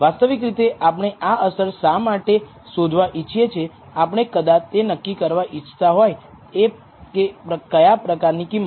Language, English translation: Gujarati, Why do we want to actually find this effect, we may want to determine what kind of price